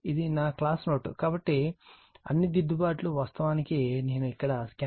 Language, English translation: Telugu, This is my class note, so all corrections made actually same thing I have scanned it here for you right